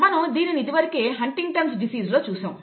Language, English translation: Telugu, We have already seen this in the case of Huntington’s disease, okay